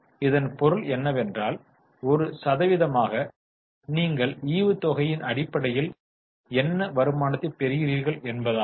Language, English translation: Tamil, That means as a percentage what return you are getting based on dividend